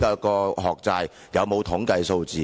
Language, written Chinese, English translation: Cantonese, 是否有統計數字？, Are there any statistics?